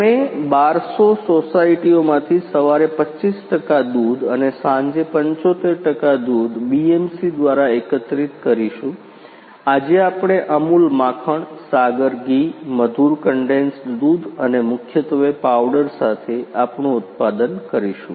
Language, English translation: Gujarati, We will we will collect milk from 1200 societies 25 percent milk in can morning and evening, 75 percent milk collect through BMC, today we will product Amul butte,r Sagar ghee, sweetened condensed milk and mainly our product with powder